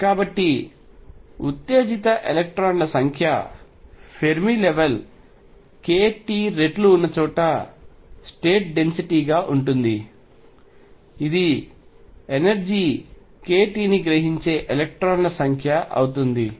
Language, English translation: Telugu, So, number of electrons exited is going to be density of states at the Fermi level times k t, this is going to be number of electrons absorbing energy k t